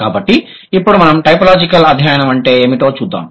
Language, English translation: Telugu, So now let's see what is typological study of languages